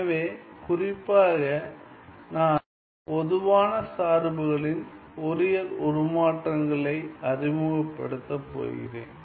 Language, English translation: Tamil, So, specifically I am going to introduce Fourier transforms of generalized functions